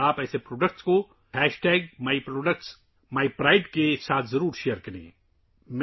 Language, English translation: Urdu, You must share such products with #myproductsmypride